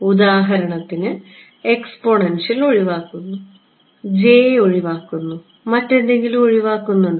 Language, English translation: Malayalam, For example, the exponential cancels off, the j cancels off, anything else cancels off